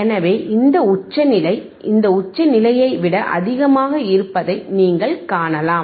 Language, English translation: Tamil, So, you can see this peak is higher than the this peak right